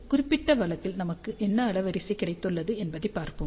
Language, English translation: Tamil, So, let us see what bandwidth we have got in this particular case